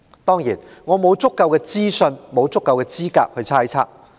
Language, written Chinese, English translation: Cantonese, 當然，我沒有足夠資訊或資格作出猜測。, Certainly I am neither sufficiently informed nor qualified to hazard a guess